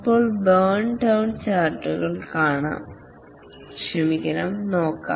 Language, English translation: Malayalam, Now let's look at the burn down charts